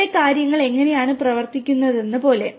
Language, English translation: Malayalam, Like how things work over here